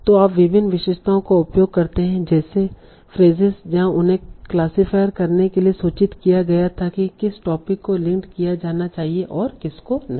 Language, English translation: Hindi, So you use various features like the places where they are mentioned to inform the classifier about which topic should and should not be linked